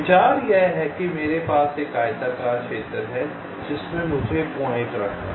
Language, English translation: Hindi, the idea is that suppose i have a rectangular area in which i have to layout the points